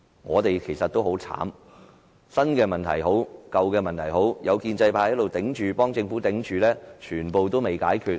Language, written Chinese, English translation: Cantonese, 我們其實很慘，無論是新問題還是舊問題，只要有建制派在這裏為政府頂着，全部也未能解決。, Actually we have a hard time . As long as the pro - establishment camp is present to shield the Government all problems be they old or new will remain unresolved